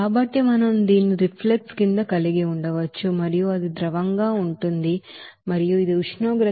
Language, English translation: Telugu, So we can have this under reflux and that will be as a liquid and it will be sent to the distillation column at temperature 56